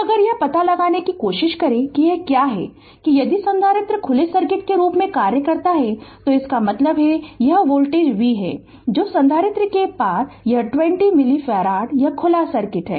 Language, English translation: Hindi, So, if you try to find out that what is the; that if capacitor acts as open circuit, that means this is the voltage v say across the capacitor this 20 milli farad it is open circuit